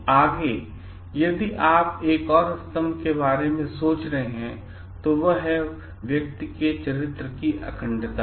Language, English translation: Hindi, Next if you are thinking of another pillar which comes is the integrity of the character of the person